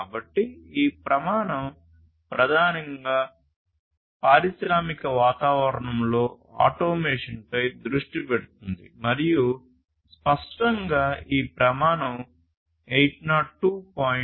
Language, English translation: Telugu, So, this standard primarily focuses on automation in industrial environments and obviously, this standard, it is based on 802